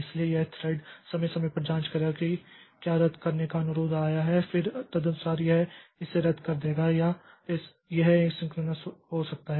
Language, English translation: Hindi, So this thread will periodically check whether the cancellation request has come and then accordingly it will cancel it or it may be asynchronous